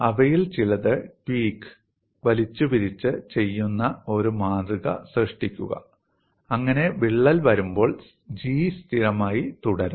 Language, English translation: Malayalam, Some of them can tweak it and create a specimen so that G remains constant as crack grows